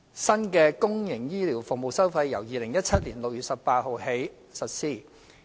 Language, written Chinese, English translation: Cantonese, 新的公營醫療服務收費由2017年6月18日起實施。, The new fees and charges for public health care services have taken effect since 18 June 2017